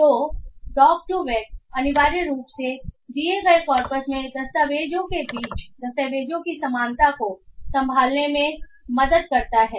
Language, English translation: Hindi, So the the doctor weck essentially helps in handling the document similarity between documents in a given corpus